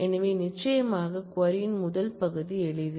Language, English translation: Tamil, So, certainly the first part of the query is simple